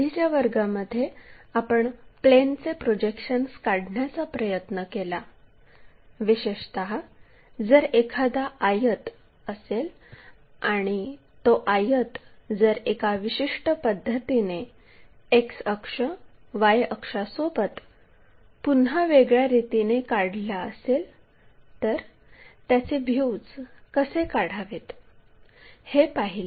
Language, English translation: Marathi, So, in the last classes we try to look at projection of planes, especially if there is a rectangle and that rectangle if it is reoriented with the X axis, Y axis in a specialized way, how to construct these views